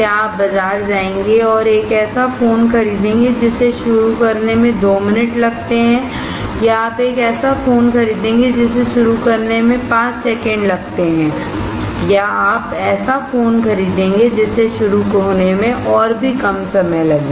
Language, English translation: Hindi, Would you go to the market and buy a phone that takes 2 minutes to start or will you buy a phone that takes five seconds to start or will you buy a phone that takes even smaller time to start